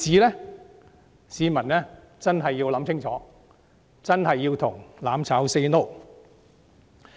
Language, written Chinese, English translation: Cantonese, 就此，市民真的要深思熟慮，真的要向"攬炒 "say no。, In this connection people really have to think carefully and say no to mutual destruction